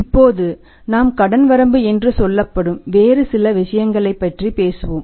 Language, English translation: Tamil, Now we will talk about certain other things also that is say credit limit